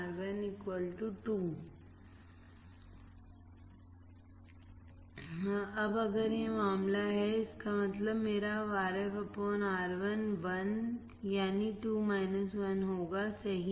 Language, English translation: Hindi, 2 = 1 + Rf / Ri Now, if that is the case; that means, my Rf by Ri, Ri would be 1, 2 minus 1 right